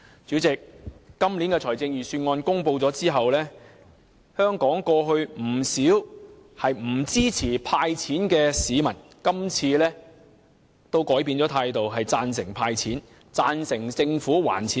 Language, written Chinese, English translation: Cantonese, 主席，在今年預算案公布後，不少過去不支持"派錢"的香港市民也改變了態度，贊成"派錢"，贊成政府還富於民。, President after the announcement of this years Budget many Hong Kong people who did not support handing out money in the past have changed their attitude and support handing out money to return wealth to the people